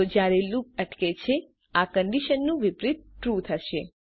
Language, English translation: Gujarati, So when the loop stops, the reverse of this condition will be true